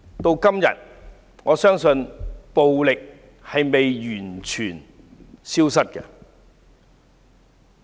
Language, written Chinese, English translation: Cantonese, 至今，我相信暴力並未完全消失。, I believe violence has not been completely eliminated even now